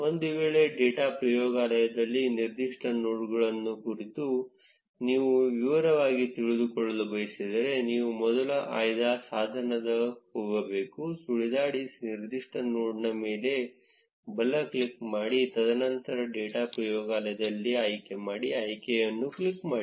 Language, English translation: Kannada, In case, you want to know in detail about a particular node in the data laboratory, then you can first go to the select tool, hover over particular node, right click, and then click on the select in data laboratory option